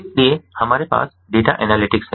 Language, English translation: Hindi, so we have data analytics